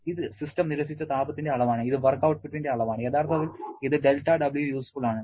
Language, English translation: Malayalam, This is the amount of heat rejected by the system and this is the amount of work output, actually this is del W useful is given